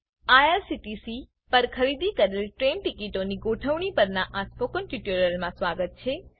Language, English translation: Gujarati, Welcome to this spoken tutorial on Managing train tickets bought at IRCTC